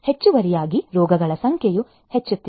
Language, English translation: Kannada, Additionally, the number of diseases are also increasing